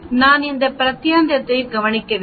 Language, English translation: Tamil, I need to look into this region